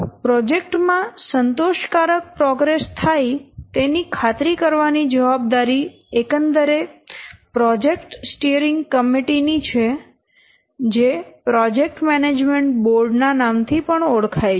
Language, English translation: Gujarati, The overall responsibility for ensuring satisfactory progress on a project is the role of the project steering committee, sometimes it is known as project management board